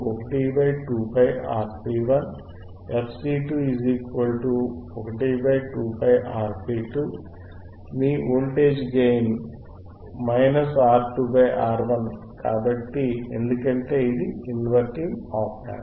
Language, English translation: Telugu, And your voltage gain is minus R 2 by R 1, because this is inverting op amp